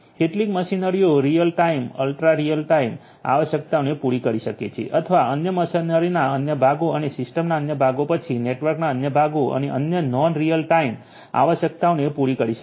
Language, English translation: Gujarati, Some machinery might be catering to real time ultra real time requirements whereas, other parts of the other machinery and other parts of the system then other parts of the network might be catering to other non real time requirements and so on